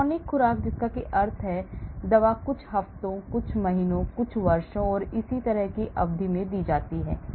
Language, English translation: Hindi, chronic is from long term dosing that means the drug is given over a period of a few weeks, few months, few years and so on